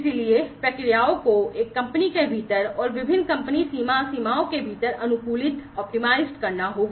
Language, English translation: Hindi, So, the processes will have to be optimized within a company, and across different company border borders